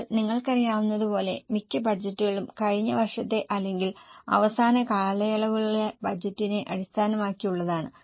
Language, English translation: Malayalam, Now as you know most of the budgets are based on the last years or last periods budget